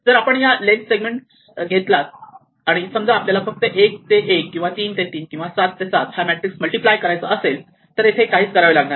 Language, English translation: Marathi, The base case well if we are just looking at a segment of length 1, supposing we just want to multiply one matrix from 1 to 1, or 3 to 3, or 7 to 7 nothing is to be done